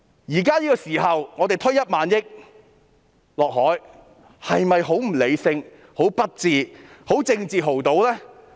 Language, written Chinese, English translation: Cantonese, 現時我們要把1萬億元倒下海，這是否很不理性、很不智、是政治豪賭呢？, Yet we are going to pour 1,000 billion into the sea . It is very unreasonable and unwise and it is a big political gamble is it not?